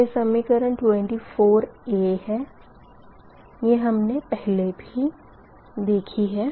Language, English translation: Hindi, this is equation twenty three, right